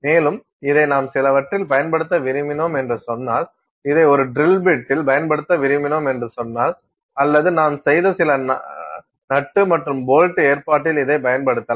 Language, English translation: Tamil, And, let say you want to use this in some let say you want to use this in a drill bit, let say you want to use it in some nut and bolt arrangement that you have made